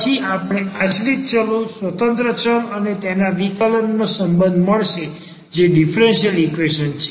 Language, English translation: Gujarati, And then we will get a relation of the dependent variables independent variables and their derivatives which is the differential equation